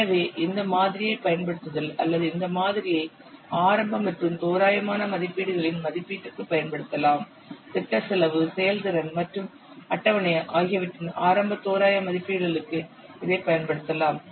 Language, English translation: Tamil, So using this model or this model can be used for estimation of early and rough estimates, this can be used for early rough estimates of project cost, the performance and the schedule